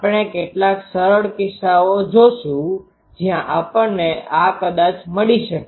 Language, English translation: Gujarati, We will see some simple cases where we can have the approximately find these